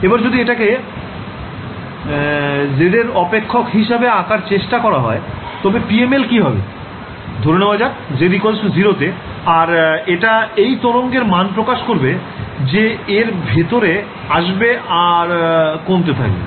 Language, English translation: Bengali, So, if I were to plot as a function of z what the PML is actually accomplishing let us say that this is z is equal to 0 and this is like the amplitude of the wave this enters inside it begins to decay